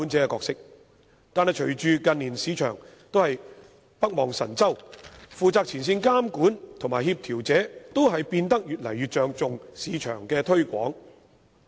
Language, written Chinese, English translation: Cantonese, 可是，隨着近年市場北望神州，負責前線監管和協調者都變得越來越着重市場推廣。, However as the market has turned its eyes northwards on the Mainland in recent years our frontline regulator and coordinator are now increasingly concerned about marketing